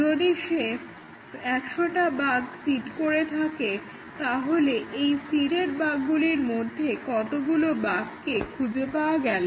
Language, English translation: Bengali, If he seeded hundred bugs, out of the hundred bugs, how many of his seeded bugs could be discovered